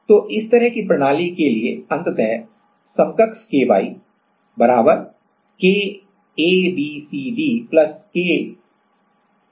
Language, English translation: Hindi, So, the ultimately equivalent KY for this kind of system is K E F G H = 2 K